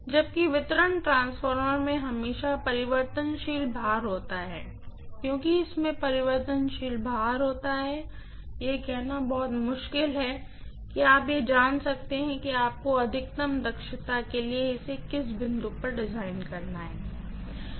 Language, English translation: Hindi, Whereas, distribution transformer will always have variable load because it has a variable load it is very very difficult to say you know like at what point you have to design it for maximum efficiency